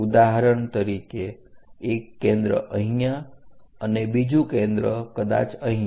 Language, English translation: Gujarati, For example, one of the foci here the second foci might be there